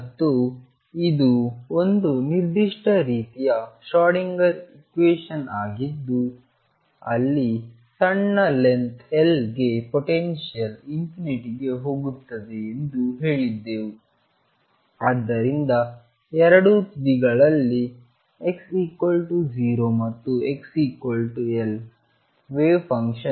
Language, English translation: Kannada, And this was a very specific kind of Schrodinger equation where we had said that the potential goes to infinity at some reasonable small distance L so that the wave function psi at the two edges which I denote as x equals 0 and x equals L they are both 0